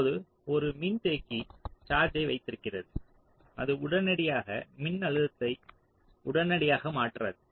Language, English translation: Tamil, now a capacitor holds the charge and it does not instantaneously change the voltage across it, right